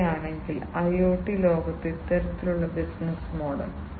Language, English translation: Malayalam, If they are adopting you know, if the business is adopting the; this kind of, you know, this kind of business model in the IoT world